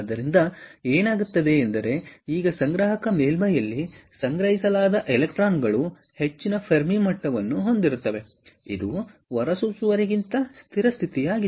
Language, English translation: Kannada, so therefore, what happens is the electrons that are now collected at the collector surface has higher fermi level, which is the stable state, than that of the emitter